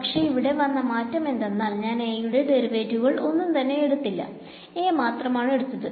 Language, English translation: Malayalam, Here what has happened is I have changed it to I have taken I do not have to take any derivative of A; A is by itself